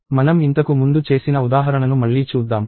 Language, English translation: Telugu, So, let us revisit the example that we did earlier